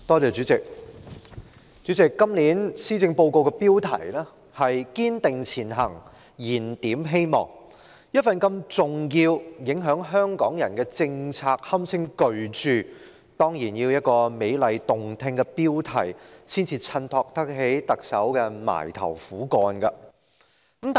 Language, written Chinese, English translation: Cantonese, 主席，今年施政報告的標題是"堅定前行燃點希望"，一份如此重要、影響香港人的政策文件，可以堪稱是巨著，當然要有一個美麗動聽的標題才可襯托出特首那份"埋頭苦幹"。, President the Policy Address of this year is titled Striving Ahead Rekindling Hope . It is an important document which may be called a magnum opus stating policies affecting the people of Hong Kong . Hence it should be given a beautiful and impressive title to reflect the assiduous effort of the Chief Executive